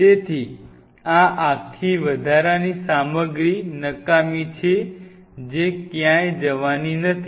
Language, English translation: Gujarati, So, this whole extra stuff is useless this is not going anywhere